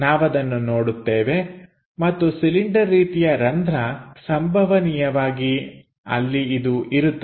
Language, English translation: Kannada, We might be going to see and this cylinder hole possibly it must have been made it there